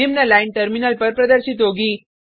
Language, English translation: Hindi, The following line will be displayed on the terminal